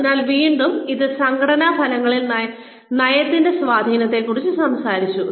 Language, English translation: Malayalam, So again, this talked about, the influence of policy on organizational outcomes